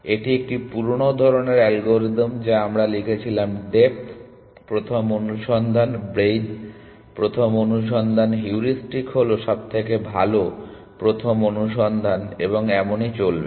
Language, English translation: Bengali, This is a old style algorithm that we wrote depth first search, breath first search, heuristic best first search and so on